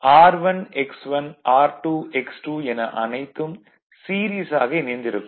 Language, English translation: Tamil, So, you will get your R 1 X 1, R 2 X 2 are all in series right